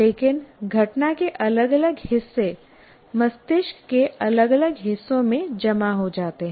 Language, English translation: Hindi, But different parts of the event are stored in different parts of the brain